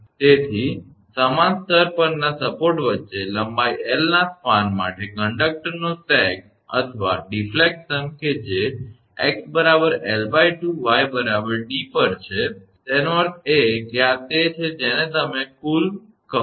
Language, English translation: Gujarati, So, the sag or deflection of the conductor for a span of length L between supports on the same level that is at x is equal to L by 2 y is equal to d; that means, this is this is your what you call the total